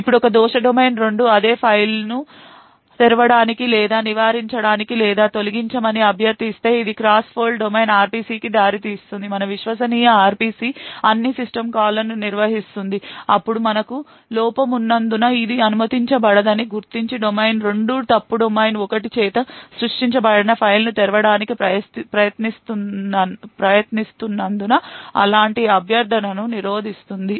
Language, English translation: Telugu, Now if let us say a fault domain 2 request the same file to be opened or modified or deleted this would also result in the cross fault domain RPC our trusted RPC which handles all system calls who then identify that this is not permitted because we have fault domain 2 trying to open a file created by fault domain 1 and therefore it would prevent such a request